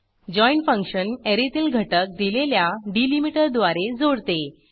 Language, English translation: Marathi, join function joins the elements of an Array , using the specified delimiter